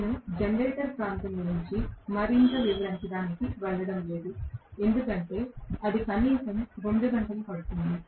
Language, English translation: Telugu, I am not going to elaborate further on the generator region because that will take it is own 2 hours at least